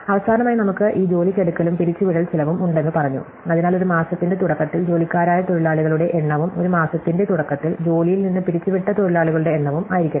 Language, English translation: Malayalam, And finally, we said that we have this hiring and firing cost, so let h i be the number of workers hired at the beginning of a month and f i be the number of workers fired at the beginning of a month